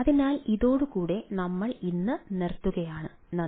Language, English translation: Malayalam, so with this we will stop today, thank you